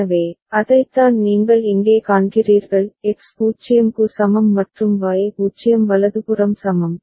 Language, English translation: Tamil, So, that is what you see here; X is equal to 0 and Y is equal to 0 right